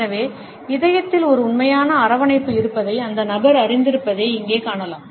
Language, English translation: Tamil, So, here you would find that the person knows that there is a genuine warmth in the heart